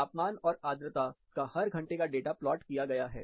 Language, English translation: Hindi, Every hour, the temperature and humidity data is plotted